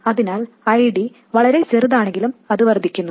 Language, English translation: Malayalam, So if ID is too small, it increases